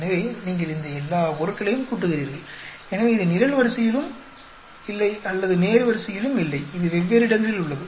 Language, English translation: Tamil, So, you add up all these items, so it is not in a column or in a row, it is in different places